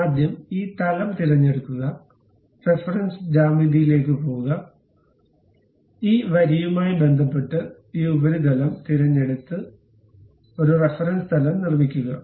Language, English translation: Malayalam, First select this plane, go to reference geometry; then with respect to this line, pick this surface, construct a reference plane